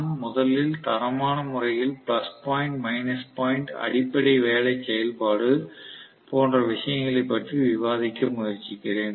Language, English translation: Tamil, I am trying to first of all discuss qualitatively the plus point, minus point, the basic working operation and things like that